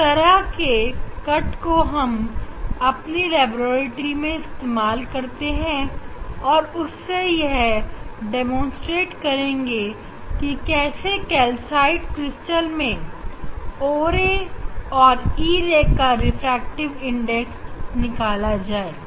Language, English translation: Hindi, this we will use, in our laboratory use this type of cut to demonstrate how to measure the refractive index for o ray and e ray for calcite crystal